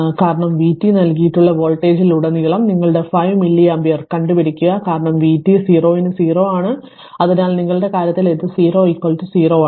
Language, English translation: Malayalam, Because anything that v t is given and find the current your 5 milli ampere if the voltage across because, v t is 0 for t less than 0 right, so your in this case your i t 0 is equal to 0